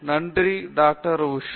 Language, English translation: Tamil, So, thank you Dr